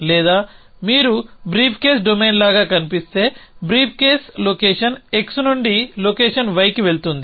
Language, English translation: Telugu, Or if you look of the something like a briefcase domain, so if a briefcase goes from location x to location y